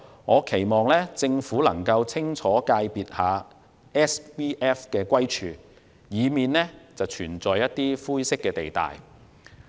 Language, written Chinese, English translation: Cantonese, 我期望政府能夠清楚界定 SVF， 以避免灰色地帶。, I hope the Government will clearly define SVF to avoid grey areas